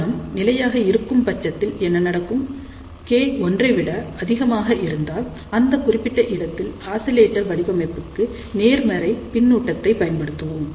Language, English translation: Tamil, Now, you may say what will happen, if the device is stable; that means, if K is greater than 1 in that particular case I tell you we will use the positive feedback to design a oscillator Now, let just look at the two other conditions